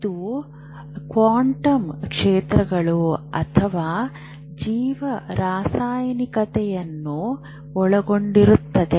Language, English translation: Kannada, We don't know whether the quantum fields or there is a biochemistry